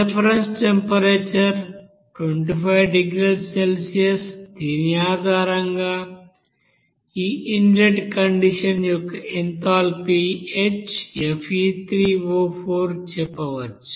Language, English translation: Telugu, Reference temperature is 25 degree Celsius based on which we can say enthalpy of this you know inlet condition delta H sorry HFe3O4 for this component